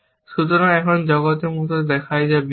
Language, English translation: Bengali, So, now, the world looks like a, which is the world